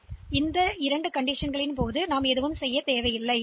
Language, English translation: Tamil, So, these 2 cases we do not do anything